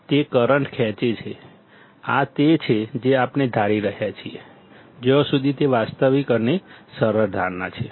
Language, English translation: Gujarati, it’s tThe current drawn; this is what we are assuming, as far it is a realistic and a simplifying assumption